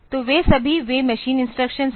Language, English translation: Hindi, So, all those is the they are the machine instructions